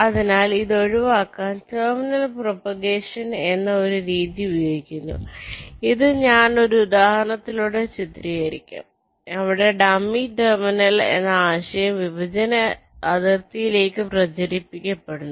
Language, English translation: Malayalam, ok, so to avoid this, a method called terminal propagation is used, which i shall be illustrating with an example, where the concept of a dummy terminal is used which is propagated towards the partitioning boundary